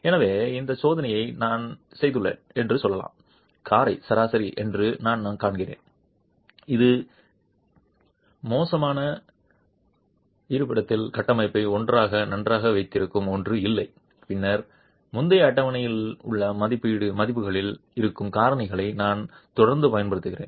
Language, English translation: Tamil, So let's say I have done this test, I find that the motor is average, it's poor, it's nothing that is holding the structure in the location so well together, then I continue to use the factors that are there in the values that are there in the previous table